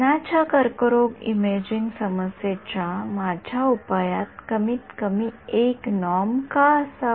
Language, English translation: Marathi, Why should my solution to this breast cancer imaging problem have minimum 1 norm